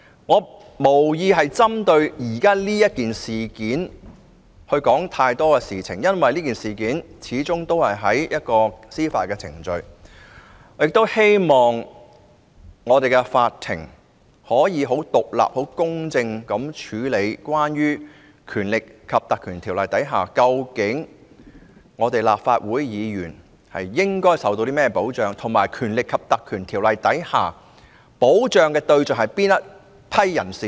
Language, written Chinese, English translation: Cantonese, 我無意就現時的事件說太多，因為有關這事件的司法程序已展開，我希望法庭可以很獨立、很公正地處理在《立法會條例》下，立法會議員應受到甚麼保障，以及該條例所保障的對象是哪群人？, I do not intend to speak a lot about the present case because the judicial process has commenced . I hope that the court can very independently and fairly deal with the issue of the level of protection which Members of the Legislative Council are entitled to under the Legislative Council Ordinance and which group of people should be protected under the Ordinance